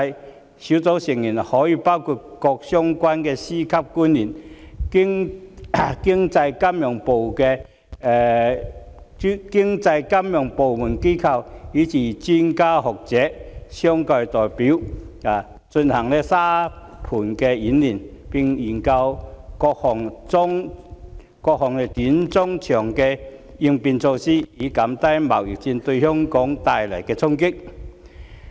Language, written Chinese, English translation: Cantonese, 專責小組的成員可以包括各相關的司局級官員、經濟金融部門和機構人員，以至專家學者、商界代表等，進行沙盤演練，並研究各項短、中、長期應變措施，以減低貿易戰對香港帶來的衝擊。, Members of this task force can include the relevant Secretaries of Department and Directors of Bureaux members of economic and financial departments and institutions experts and scholars as well as representatives from the business sector . Sandbox drills can be carried out and studies conducted on various short - medium - and long - term contingency measures to minimize the impact of the trade war on Hong Kong